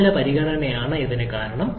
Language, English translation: Malayalam, That is because of the temperature consideration